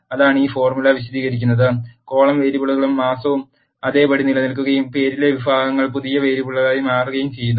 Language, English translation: Malayalam, That is what this formula explains, columns variable and month remain as it is and the categories in the name becomes new variable